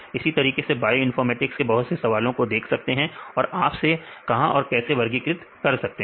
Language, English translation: Hindi, Like ways you can see the several problems in bioinformatics that you can classify where these are there